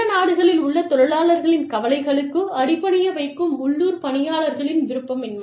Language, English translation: Tamil, Employee unwillingness, to subordinate local concerns, to the concerns of workers, in other countries